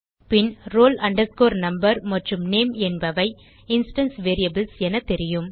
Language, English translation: Tamil, roll number and name are the instance variables